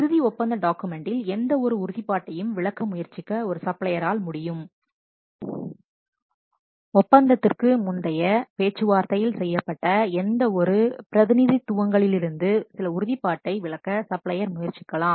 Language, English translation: Tamil, A supplier could in what the final contract document attempt to exclude any commitment, he may attempt to exclude some of the commitment to any representations made in the pre contract negotiation, that is the terms of the contract needed to be scrutiny for this